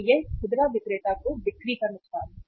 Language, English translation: Hindi, So it is a loss of sale to the to the retailer